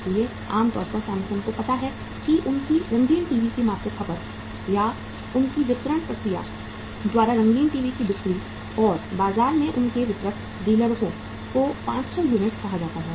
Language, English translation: Hindi, So normally Samsung knows that their monthly consumption of their colour TVs or sale of colour TVs by their distribution process or their distributor dealers in the market is say 500 units